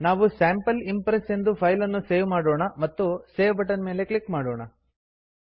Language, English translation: Kannada, We will name this file as Sample Impress and click on the save button